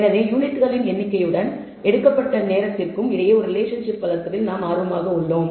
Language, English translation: Tamil, So, we are interested in developing a relationship between number of units and the time taken by something or vice versa now